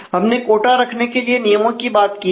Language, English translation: Hindi, The rules have talked about having a quota